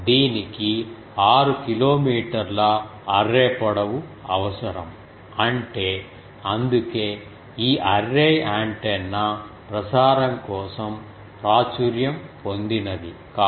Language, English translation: Telugu, This will require an array length of 6 kilometer so; that means, that is why this array antennas for broadcasting is not